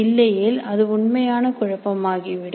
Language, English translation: Tamil, Otherwise it becomes really chaos